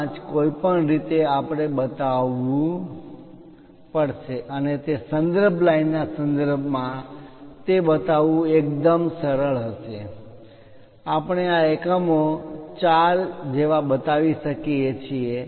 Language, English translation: Gujarati, 5 anyway we have to show and it will be quite easy with respect to that reference line, we can show these units like 4